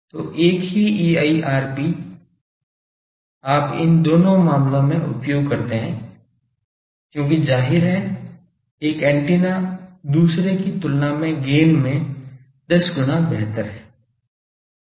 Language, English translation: Hindi, So, same EIRP you use in both this cases same EIRP because obviously, one antenna is much better 10 times better in gain than the other